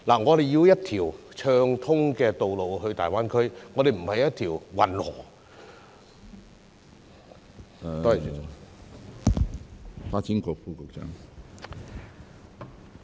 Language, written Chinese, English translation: Cantonese, 我們需要一條暢通的道路連接大灣區，而不是運河。, We need a smooth road connecting to the Greater Bay Area not a canal